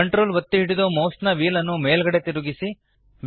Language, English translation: Kannada, Hold Ctrl and scroll the mouse wheel upwards